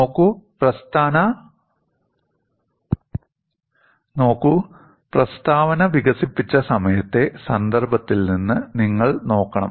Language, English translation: Malayalam, See, you have to look at the statement from the context of the time while it was developed